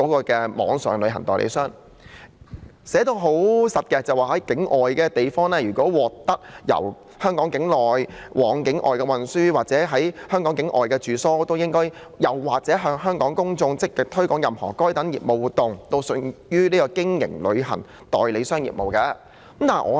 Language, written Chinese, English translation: Cantonese, 條文寫得相當具體，就是如果任何人在香港境外地方獲取由香港境內往境外的運輸或在香港境外的住宿，或是向香港的公眾積極推廣任何該等業務活動，均屬於經營旅行代理商業務。, The provision is very specific in that a person carries on travel agent business if he obtains for another person carriage from Hong Kong to a place outside Hong Kong obtains accommodation at a place outside Hong Kong or actively markets to the public of Hong Kong any of those business activities